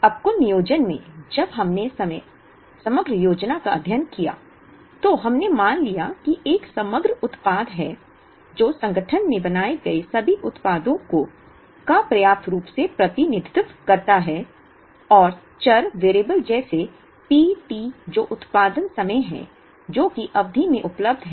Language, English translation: Hindi, Now, in aggregate planning, when we studied aggregate planning, we assumed that there is an aggregate product, which adequately represents all the products that are made in the organization, and variable such as P t that is production time that is available in the period, which is a decision variable of an aggregate plan